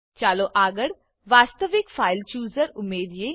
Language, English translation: Gujarati, Let us next add the actual File Chooser